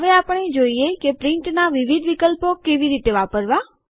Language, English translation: Gujarati, We will now see how to access the various options of Print